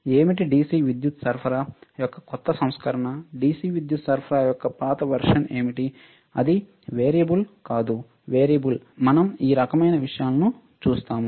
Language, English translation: Telugu, What are the newer version of DC power supply, what are the older version of DC power supply, it is variable not variable we will see this kind of things anyway